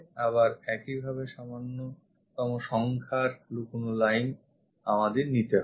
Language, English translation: Bengali, Again same thing fewest number of hidden lines we have to pick